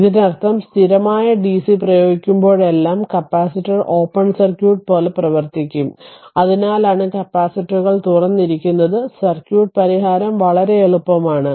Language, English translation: Malayalam, So, this that means, how to that means whenever steady dc is applied right, capacitor will behave like open circuit that is why capacitors are open and circuits solution is very easy right